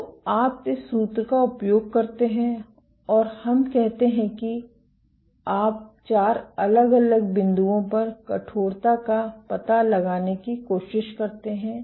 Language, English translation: Hindi, So, you use this formula and let us say you try to go out and find out the stiffness at four different points